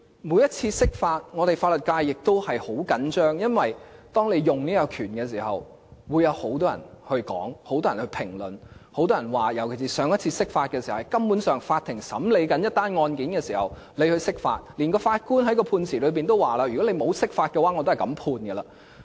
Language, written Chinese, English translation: Cantonese, 每次釋法法律界也十分緊張，因為當中央運用這個權力時會有很多人談論，很多人評論，尤其是上次釋法根本是在法庭正在審理一宗個案時進行，連法官在判詞中也表示，如果沒有釋法，他也是這樣判決。, Each time an interpretation takes place the legal sector is very nervous because many people will discuss and comment on the Central Authorities exercising this power . In particular the latest round of interpretation took place when the Court was hearing the case and thereafter even the Judge said in his verdict that he would hand down the same ruling with or without the interpretation